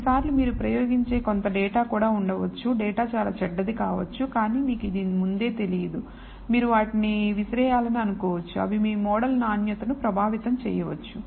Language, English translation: Telugu, Sometimes you might have also a few data you may experiment and data may be very bad, but you do not know this a priori, you would like to throw them out they might affect the quality of your model